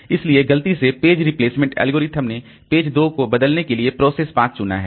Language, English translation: Hindi, So, by mistake the page replacement algorithm has selected page 2 of process 5 to be replaced